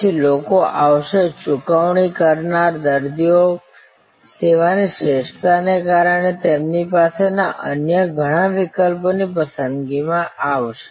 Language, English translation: Gujarati, Then, people would come, paying patients would come in preference to many other options they might have had, because of the service excellence